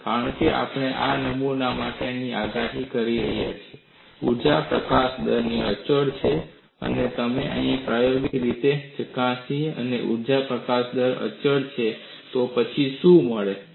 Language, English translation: Gujarati, Because we have predicted for the specimen energy release rate is constant, and if we experimentally verify energy release rate is constant, then what do you find